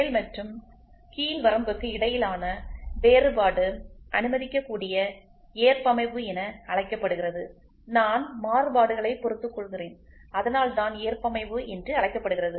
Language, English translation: Tamil, The difference between upper and lower limit is termed as permissible tolerance so I tolerate I tolerate, so that is why it is called as tolerance